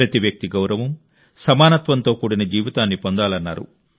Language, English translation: Telugu, He wanted that every person should be entitled to a life of dignity and equality